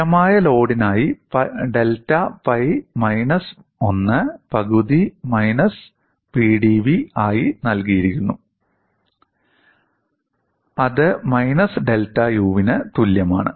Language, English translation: Malayalam, For a constant load, delta pi s given as minus 1 half P dv; that is equal to minus of delta U